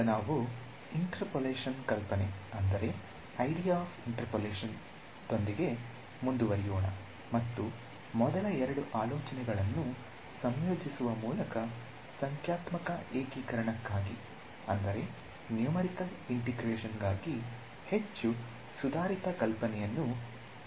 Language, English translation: Kannada, We will proceed to the idea of interpolation of a function and use the idea combine the first two ideas into more advanced ideas for numerical integration ok